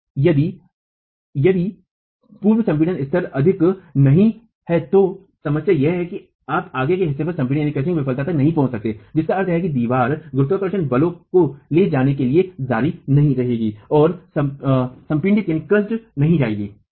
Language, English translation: Hindi, Now if the level of pre compression is not high the problem is you might not reach crushing failure at the toe which means the wall is going to continue to carry the gravity forces and not get crushed